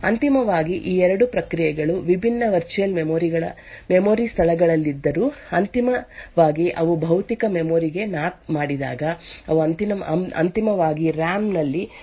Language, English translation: Kannada, Eventually although these 2 processes are at different virtual memory spaces, eventually when they get mapped to physical memory they would eventually use the same copy of this SSL encryption which is stored in the RAM